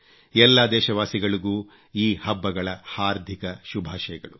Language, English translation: Kannada, Felicitations to all of you on the occasion of these festivals